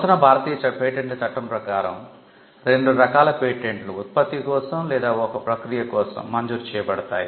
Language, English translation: Telugu, So, the two kinds of patents broadly that can be granted under the Indian patents act are either for a product or for a process